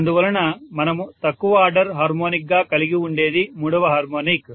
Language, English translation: Telugu, So what we have as the lowest order harmonic is third harmonic